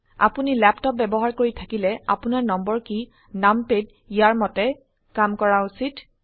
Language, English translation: Assamese, If you are using a laptop, you need to emulate your number keys as numpad